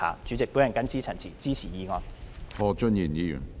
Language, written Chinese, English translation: Cantonese, 主席，我謹此陳辭，支持議案。, With these remarks President I express support for the motion